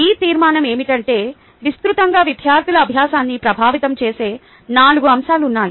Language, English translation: Telugu, what this conclusion says is that, broadly, there are four factors affecting student learning